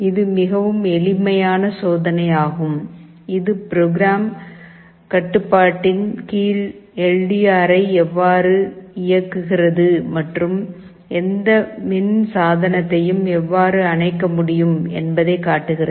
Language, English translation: Tamil, This is a very simple experiment that shows you how an LDR can be used under program control to switch ON and switch OFF any electrical appliance